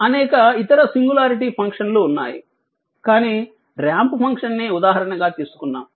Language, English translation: Telugu, There are many other singularity function, but we will we will come up to ramp function some example